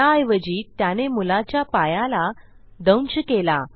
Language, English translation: Marathi, Instead it turns towards the boy and bites him on the foot